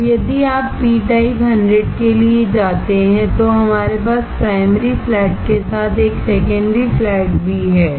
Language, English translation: Hindi, Now, if you go for p type 100, then we also have a secondary flat along with primary flat